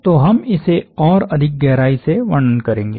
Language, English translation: Hindi, So we will construct this a little more deeply